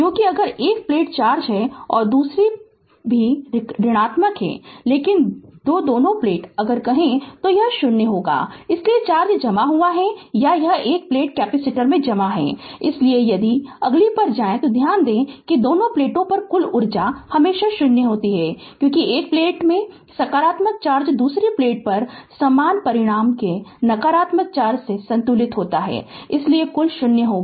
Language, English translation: Hindi, Because if one plate is plus charge and another will minus, but two both the plates if you say, then it will be 0, so as the that is why we can say that the charge accumulated or one plate is stored in the capacitor right So, if you go to the next, then note that the total charge on both plates is always zero, because positive charge in one plate suppose is balanced by the negative charge of equal magnitude on the other plate, so, total will be 0